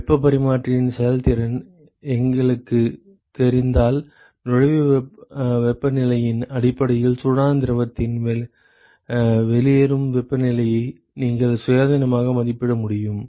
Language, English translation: Tamil, If we know the efficiency of heat exchanger then you are able to independently estimate the out outlet temperature of the hot fluid based on the inlet temperature